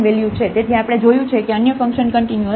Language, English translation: Gujarati, So, we have seen the other function is continuous